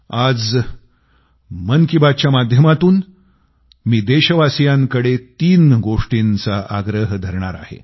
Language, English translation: Marathi, Today, through the 'Mann Ki Baat' programme, I am entreating 3 requests to the fellow countrymen